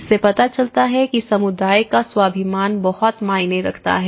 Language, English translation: Hindi, This shows that you know the community’s self esteem has been considered very much